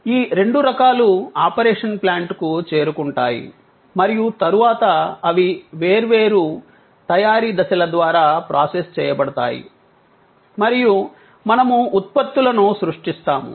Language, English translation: Telugu, Both types flow to the operation plant and then, they are processed through different manufacturing stages and we create products